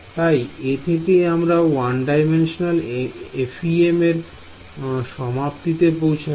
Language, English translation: Bengali, So, that brings us to an end of the 1D FEM equation